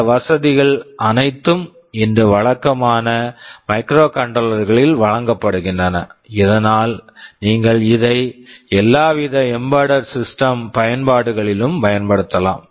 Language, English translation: Tamil, All these facilities are provided in typical microcontrollers today, so that you can use it for almost any kind of embedded system applications